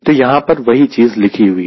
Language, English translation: Hindi, so that is what is written here